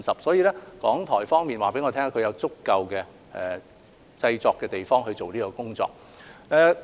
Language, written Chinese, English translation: Cantonese, 所以，港台方面告訴我，他們有足夠的製作地方進行相關工作。, For this reason RTHK has informed me that they have sufficient production premises to undertake the relevant work